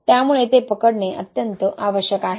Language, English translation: Marathi, So it is very important to capture that